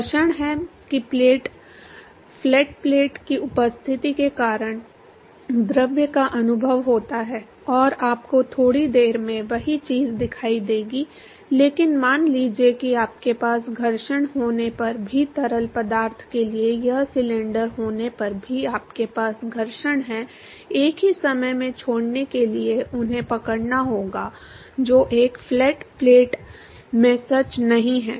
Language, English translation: Hindi, Friction that the fluid experience because of the presence of the flat plate and you will see the same thing here in a short while, but supposing even if you have a even if you have a friction even if you have this cylinder in order for the fluid to leave at the same time they have to catch up that is not true in a flat plate